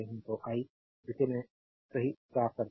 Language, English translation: Hindi, So, let me clean it right